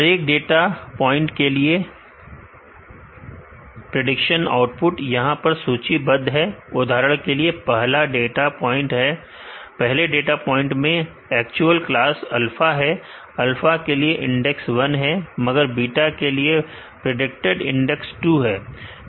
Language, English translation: Hindi, The output predicted for each data point is listed here for example, first data point the actual class is alpha, the index for alpha is 1, but predicted as beta index 2